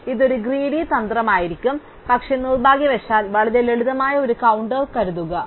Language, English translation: Malayalam, So, this could be a greedy strategy, but unfortunately there is a fairly simple counter example